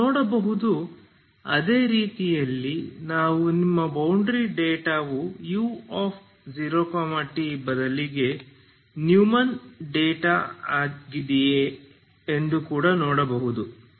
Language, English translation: Kannada, So will also see we can in the same way we can also see if your if your boundary data is Neumann data that is U X instead of U 0 of T